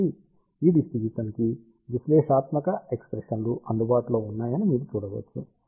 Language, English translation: Telugu, So, you can see that analytical expressions are available for this distribution